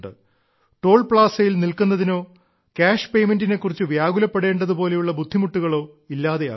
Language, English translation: Malayalam, This saves not just travel time ; problems like stopping at Toll Plaza, worrying about cash payment are also over